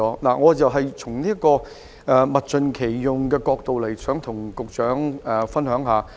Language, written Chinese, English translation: Cantonese, 我想從物盡其用的角度向局長分享一下我的看法。, I wish to share my views with the Secretary from the perspective of how resources can be fully utilized